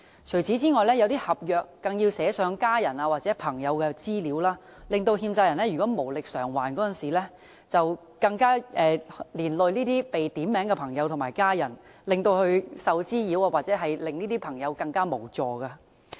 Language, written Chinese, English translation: Cantonese, 除此之外，一些合約更要寫上家人或朋友的資料，欠債人無力償還時，連累這些被點名的朋友和家人受到滋擾，使他們十分無助。, Besides it is even stipulated in some contracts that the information of family members or friends has to be provided . As a result when borrowers fail to repay their debts these named friends and family members will suffer harassment and be rendered helpless